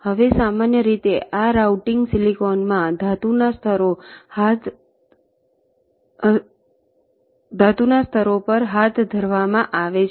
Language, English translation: Gujarati, now, usually this routing is carried out on the metal layers in silicon